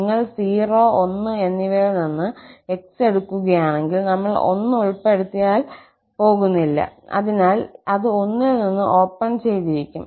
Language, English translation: Malayalam, So, what is interesting here, if you fix x from 0 and 1, so we are not going to include 1, so, it is open from 1 there